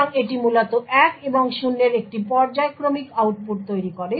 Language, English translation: Bengali, So, it essentially creates a periodic output of 1 and 0